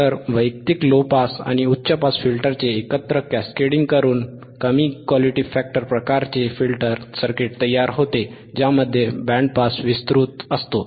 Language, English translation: Marathi, This cascading together of individual low pass and high pass filter produces a low Q vector factor, type filter circuit which has a wide band pass band which has a wide pass band, right